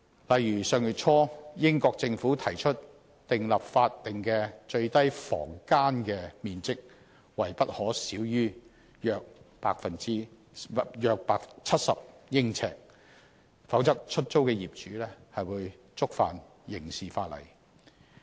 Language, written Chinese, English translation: Cantonese, 例如，英國政府上月初提出訂立法定的最低房間面積為不可小於約70呎，否則出租的業主將觸犯刑事法例。, For example early last month the British government proposed that the statutory national minimum bedroom size should be no less than 70 sq ft or else the landlord would be guilty of a criminal offence